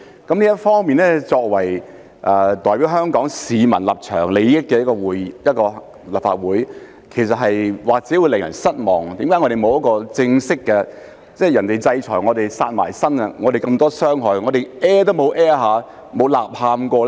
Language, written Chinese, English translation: Cantonese, 就這方面，作為代表香港市民立場、利益的立法會，或許會令人失望，為何立法會沒有正式回應，別人制裁我們，"殺埋身"，我們受這麼多傷害，但我們完全沒有發聲，沒有吶喊過呢？, In this regard the Legislative Council might let Hong Kong people down in terms of representing their stance and interests . Why has the Legislative Council not made any official response? . While suffering so much from foreign sanctions that have borne down on us why have we not spoken out or cried foul at all?